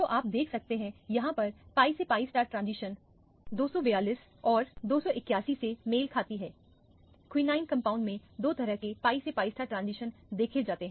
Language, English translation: Hindi, So, you can see here the pi to pi star transition correspond to 242 and 281, there are two types of pi to pi star transition in this quinine compound